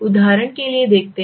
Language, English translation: Hindi, For example you see